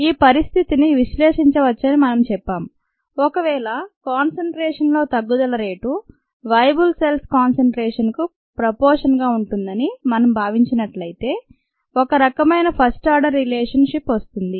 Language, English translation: Telugu, we said that we could analyze ah this situation if we considered the rate of decrease in concentration to be directly proportional to the concentration of viable cells, a sort of a first order relationship